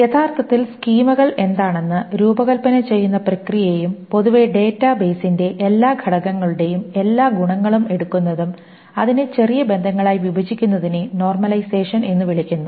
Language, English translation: Malayalam, , the process of actually designing what the schemas are, and in general taking all the attributes of all the entities of the database together and breaking it up into smaller relations is called normalization